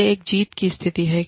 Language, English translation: Hindi, It is a win win situation